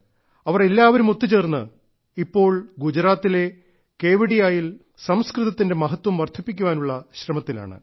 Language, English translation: Malayalam, All of them together in Gujarat, in Kevadiya are currently engaged in enhancing respect for the Sanskrit language